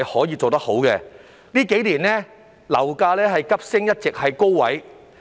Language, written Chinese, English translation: Cantonese, 在這數年間，樓價急升，並一直處於高位。, Over the past few years property prices have soared and remained high